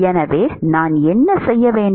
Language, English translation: Tamil, So, what should I do